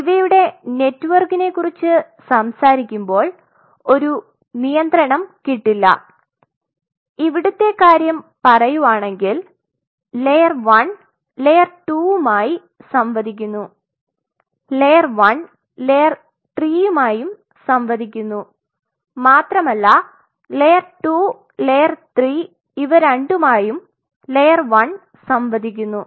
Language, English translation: Malayalam, So, now, we do not have any control when if we talk about a network that whether layer 1 is interacting with say layer one is interacting with in this case with layer 3 or layer 1 is interacting with layer 2 as well as layer one is interacting with both layer 2 and layer 3